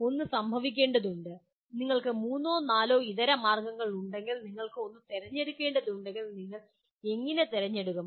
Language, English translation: Malayalam, What happens is if you have three or four alternatives for you and if you have to select one, how do you select